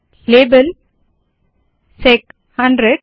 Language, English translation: Hindi, Label, sec 100